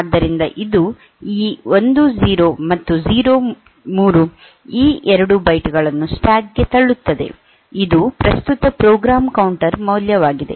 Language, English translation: Kannada, So, it will put it will PUSH this 1 0 and 0 3 these 2 bytes into the stack, which is the current program counter value